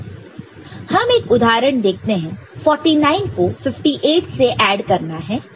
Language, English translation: Hindi, So, 49 is getting added with 58